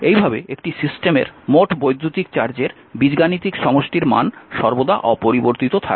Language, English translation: Bengali, Thus, the algebraic sum of the electric charge is a system does not change